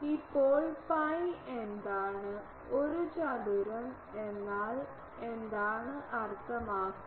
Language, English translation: Malayalam, Now, what is it pi a square means what